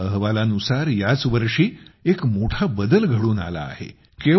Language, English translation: Marathi, According to a report, a big change has come this year